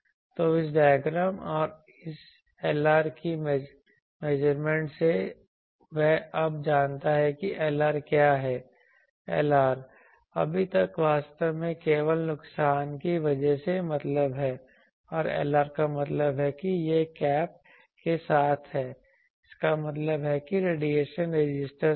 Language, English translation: Hindi, So, what is doing in from this measurement from the measurement of this diagram and this Lr, so that means he now knows what is Lr ; far Lr far means actually due to the loss only and Lr this means that this is the with without cap, that means with radiation resistance